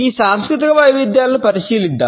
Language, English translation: Telugu, Let us look at these cultural variations